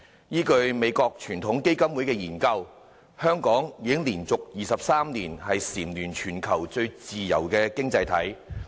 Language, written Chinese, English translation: Cantonese, 依據美國傳統基金會的研究，香港已經連續23年蟬聯全球最自由經濟體。, According to a study of the Heritage Foundation of the United States Hong Kong has been ranked the worlds freest economy for the 23 consecutive year